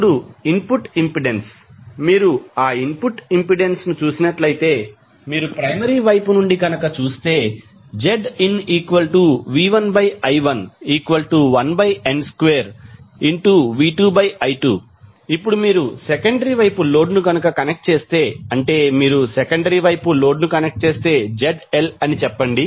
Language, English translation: Telugu, Now the input impedance, if you see that input impedance, if you see from the primary side that is Zin will be nothing but V1 upon I1 or you can convert it in terms of V2 I2 this will become 1 by n square V2 by I2